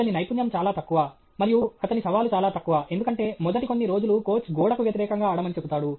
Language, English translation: Telugu, His skill is very low, and his challenge is very low, because first few days the coach will ask him to play against the wall